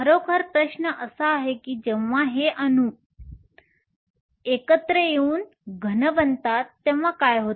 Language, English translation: Marathi, The question really is what happens when all these atoms come together to form a solid